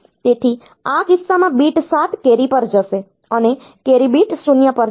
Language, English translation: Gujarati, So, in this case the bit 7 will go to the carry, and the carry will go to bit 0